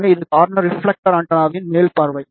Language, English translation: Tamil, So, this is the top view of the corner reflector antenna